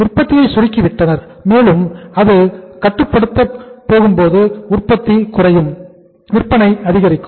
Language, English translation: Tamil, They they shrinken the production process and when it is controlled production is reduced, sales are increased